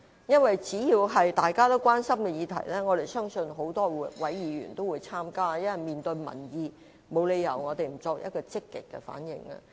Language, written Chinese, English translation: Cantonese, 因為只要是大家關心的議題，相信各位議員均會積極參與，我們要面對民意，沒有理由不作出積極反應。, As long as a matter of common concern is involved all Members will actively take part in an inquiry because we all have to face public opinion squarely and there is no reason why we do not respond proactively